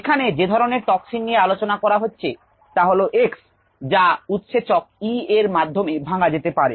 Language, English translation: Bengali, the particular toxin that she is studying, x, can be broken down enzymatically using the enzyme e